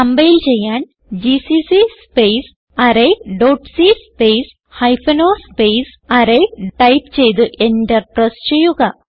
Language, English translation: Malayalam, To compile type, gcc space array dot c space hypen o array and press Enter